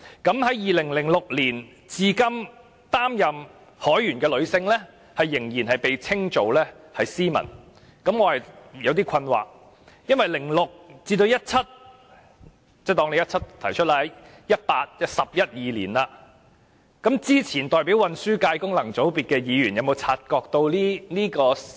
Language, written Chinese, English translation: Cantonese, 從2006年至今擔任海員的女性，仍然被稱為 "Seamen"， 這令我感到有點困惑，由2006年至2017年已有十一二年，之前代表運輸界功能界別的議員有否察覺到這問題？, From 2006 till now women seafarers have been called Seamen; and that baffles me . It has been 11 or 12 years from 2006 to 2017 has the Member representing the Transport Functional Constituency previously not noticed the problem?